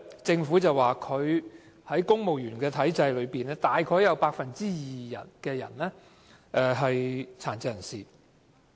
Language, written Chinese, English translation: Cantonese, 政府在過去曾經表示，公務員體制內約有 2% 是殘疾人士。, The Government once said that PWDs represented 2 % of the strength of the Civil Service